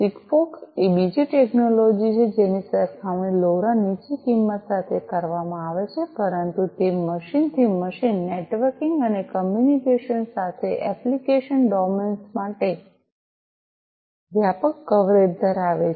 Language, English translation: Gujarati, SIGFOX is another technology which is compared to LoRa low cost, but has wider coverage for application domains with machine to machine networking and communication